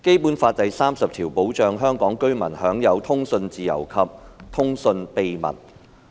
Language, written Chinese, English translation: Cantonese, 《基本法》第三十條保障香港居民享有通訊自由和通訊秘密。, Article 30 of the Basic Law protects the enjoyment of freedom and privacy of communication by Hong Kong residents